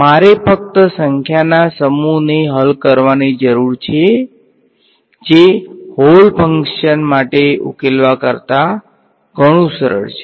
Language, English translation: Gujarati, I am just have to I just have to solve for a bunch of number which is much much easier than solving for a whole entire function